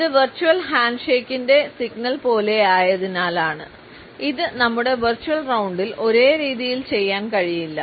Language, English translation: Malayalam, And it is simply, because it is almost like a signal of the virtual handshake which is something that, we cannot do in a same way in our virtual round